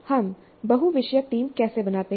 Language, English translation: Hindi, And how do we form multidisciplinary teams